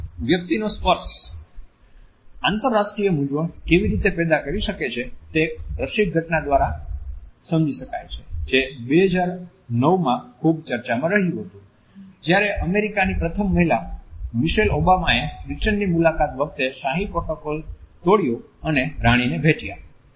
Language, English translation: Gujarati, How human touch can initiate international confusions can be understood by this interesting event which made a headline in 2009, when Americas first lady Michelle Obama broke royal protocol on a visit to Britain and hug the Queen